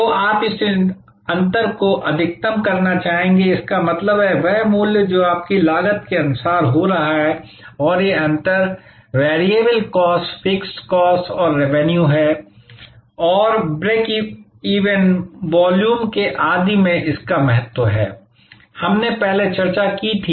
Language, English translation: Hindi, So, you would like to maximize this gap; that means, the price that your getting versus your cost and these differences are variable cost, fixed cost and the revenue and it is importance with respect to the break even, volume, etc, we discussed earlier